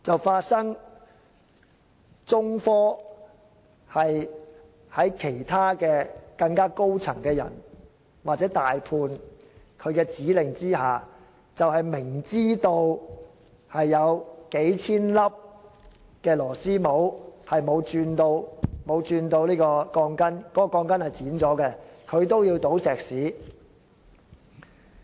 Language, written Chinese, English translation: Cantonese, 此時，中科其他高層或大判便發出指令，要求在明知有數千粒螺絲帽並未鑽上鋼筋和鋼筋被剪短的情況下鋪上石屎。, Some other senior staff members of China Technology or the main contractor then ordered the pouring of concrete even though they knew that thousands of couplers had not been connected with the steel bars and some of the steel bars had been cut short